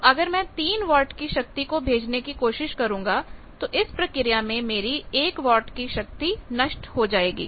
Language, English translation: Hindi, So, if I am trying to send three watts of power one watt power will be lost due to this mismatch